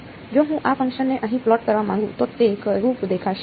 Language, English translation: Gujarati, If I want to plot this function over here what will it look like